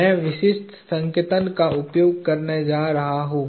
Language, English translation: Hindi, I am going to use the specific notation